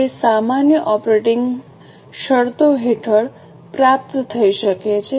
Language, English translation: Gujarati, Now, these may be achieved under normal operating conditions